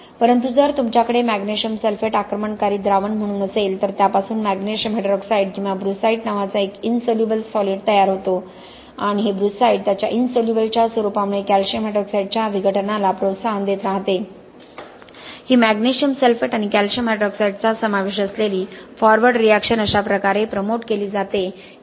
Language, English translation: Marathi, But if you have magnesium sulphate as the attacking solution you form an insoluble solid called magnesium hydroxide or brucite and this brucite because of its nature of insolubility keeps promoting the dissolution of calcium hydroxide, this forward reaction involving magnesium sulphate and calcium hydroxide is promoted to such an extent that you can actually lead to a complete removal of calcium hydroxide